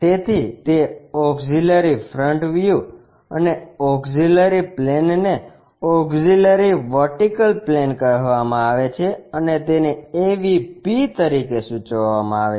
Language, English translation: Gujarati, So, that auxiliary front view and the auxiliary plane is called auxiliary vertical plane and denoted as AVP